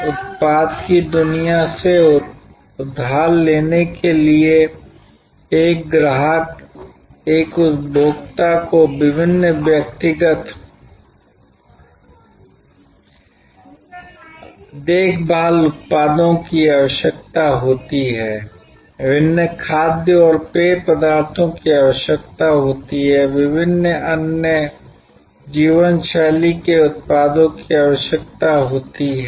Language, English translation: Hindi, To borrow from the product world, a customer, a consumer needs various personal care products, needs various food and beverage items, needs various other lifestyle products